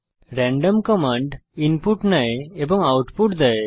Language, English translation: Bengali, random command takes input and returns output